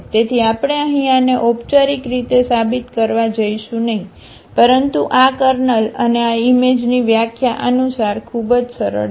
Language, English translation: Gujarati, So, we are not going to formally prove this here, but this is very simple as per the definition of the kernel and this image